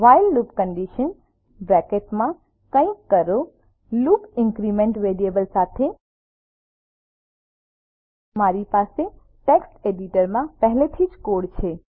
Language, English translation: Gujarati, while loop condition { do something with loop increment variable } I already have the code in a text editor